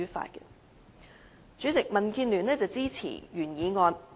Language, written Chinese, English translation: Cantonese, 代理主席，民建聯支持原議案。, Deputy President DAB supports the original motion